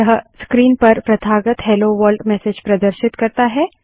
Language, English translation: Hindi, This prints the customary Hello World message on the screen